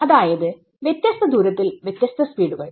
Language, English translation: Malayalam, So, this is so, different directions different speeds